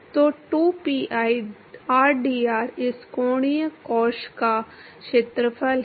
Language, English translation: Hindi, So, 2pi rdr is the area of this angular shell